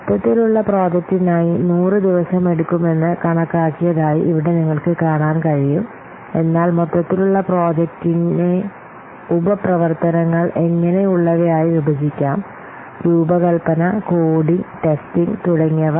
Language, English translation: Malayalam, Here you can see that for the overall project you have estimated that you it may take 100 days, but the overall project can be divided into what different sub activities like design, coding, testing, etc